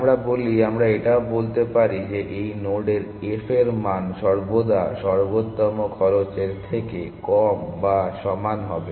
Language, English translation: Bengali, Further we say the f value of this node is always less to or equal to the optimal cost from